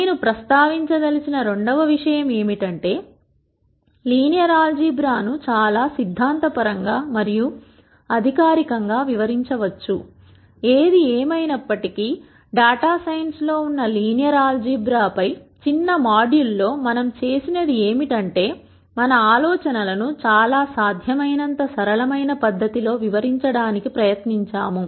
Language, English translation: Telugu, The second thing that I would like to mention is the following; Linear algebra can be treated very theoretically very formally; however, in the short module on linear algebra which has relevance to data science ,what we have done is we have tried to explain the ideas in as simple fashion as possible without being too formal